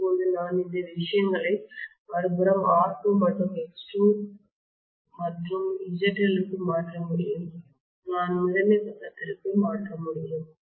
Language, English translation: Tamil, Now I can transfer these things to the other side R2 and x2 and ZL, I should be able to transfer over to the primary side